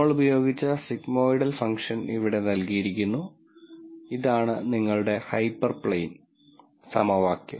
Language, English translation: Malayalam, And the sigmoidal function that we used is given here and notice that this is your hyperplane equation